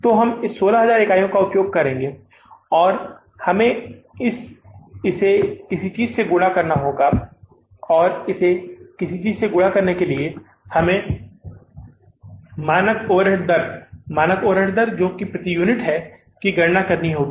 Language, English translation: Hindi, So we will use this 16,000 units and we have to multiply it by something and for multiplying it by something we have to calculate the standard overhead rate, standard overhead rate that is per unit, right